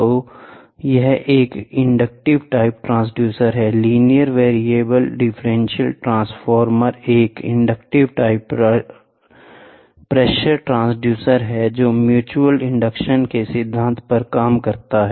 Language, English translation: Hindi, So, this is an inductive type transducer, the linear variable differential transformer is an inductive type of pressure transducer that works on mutual inductance principle